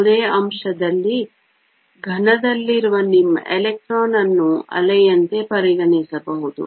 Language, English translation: Kannada, In any element, your electron in the solid can be treated as a wave